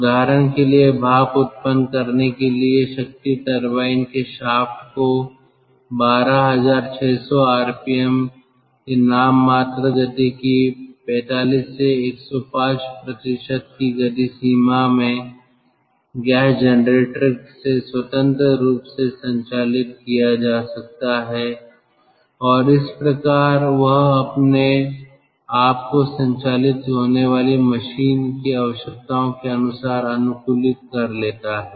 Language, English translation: Hindi, the shaft of the power turbine can be operated independently of that of the gas generator in a speed range of forty five to one hundred five percent of the nominal speed of twelve thousand six hundred rpm, and thus adapt optimally to the requirements of the machine to be driven